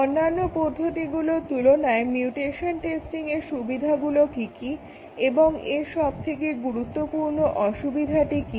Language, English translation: Bengali, What is the advantage of mutation testing compared to other testing techniques and what is one important disadvantage